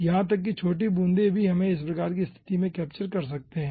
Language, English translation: Hindi, okay, even very tiny droplets also we can capture in this type of situation